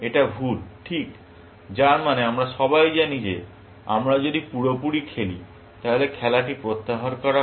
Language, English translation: Bengali, It is wrong, right; which means that we everybody knows that if we played perfectly, then the game is withdrawn